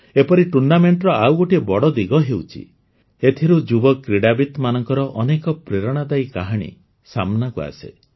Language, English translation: Odia, Friends, a major aspect of such tournaments is that many inspiring stories of young players come to the fore